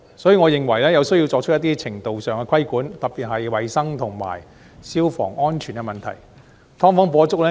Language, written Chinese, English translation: Cantonese, 因此，我認為有需要作出一定程度的規管，特別是在衞生及消防安全方面。, Hence I find it necessary to subject them to a certain degree of regulation particularly in respect of hygiene and fire safety